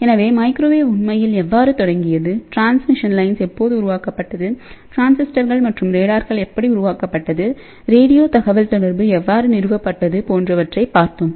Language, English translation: Tamil, So, how the microwaves really started and how the radio communication was established when the transmission lines were developed and when these ah transistors and radars were developed